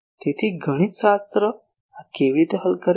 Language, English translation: Gujarati, So mathematically, how to tackle this